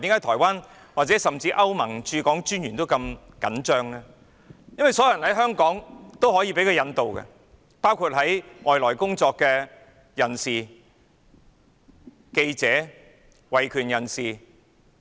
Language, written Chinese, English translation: Cantonese, 台灣甚至歐盟駐港專員都如此緊張，原因是所有在香港的人都可以被引渡，包括外來工作的人、記者或維權人士。, Taiwan and even the Ambassador of the European Union Office to Hong Kong are very nervous because anyone in Hong Kong can be extradited including foreigners journalists or human rights activists who come to work in Hong Kong